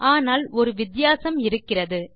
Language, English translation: Tamil, But there is a difference